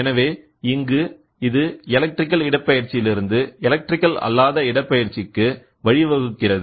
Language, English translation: Tamil, So, here it is electrical to non electrical displacement, right